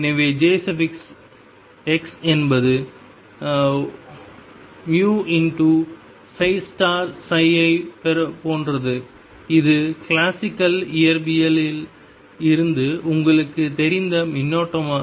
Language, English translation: Tamil, So, jx is like velocity times psi star psi which is the current which you know from classical physics